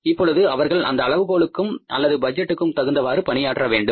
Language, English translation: Tamil, Now they have to perform according to this benchmark or this budget